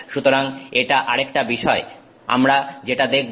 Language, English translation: Bengali, So, that is another aspect that we look at